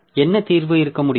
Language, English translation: Tamil, So, what can be the solution